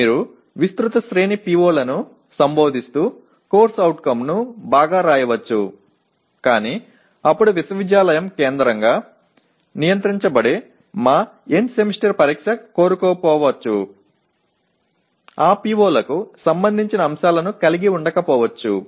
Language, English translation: Telugu, You may write a CO very well addressing a wide range of POs but then our End Semester Examination which is centrally controlled by the university may not want to, may not include items related to those POs